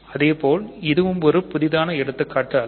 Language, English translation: Tamil, So, similarly so, this is not really a new example